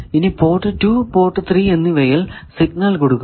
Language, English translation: Malayalam, If I give signal at either port 1 or port 4